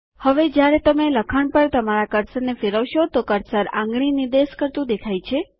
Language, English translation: Gujarati, Now when you hover your cursor over the text, the cursor turns into a pointing finger